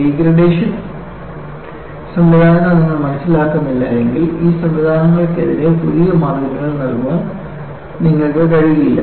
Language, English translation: Malayalam, Unless you understand the degradation mechanisms, you will not be able to provide sufficient margins against these mechanisms